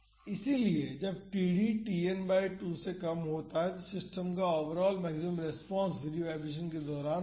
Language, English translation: Hindi, So, when td is less than Tn by 2 then the overall maximum response of the system occurs during the free vibration